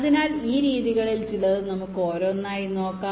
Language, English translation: Malayalam, ok, so let us look at some of these methods one by one